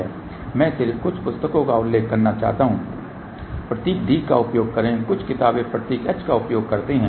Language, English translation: Hindi, I just want to mention some books use the symbol d some books use the symbol h